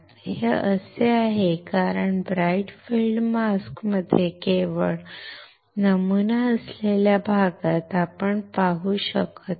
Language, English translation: Marathi, It is because in bright field mask only in patterned area you cannot see